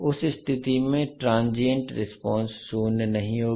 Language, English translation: Hindi, In that case transient response will not decay to zero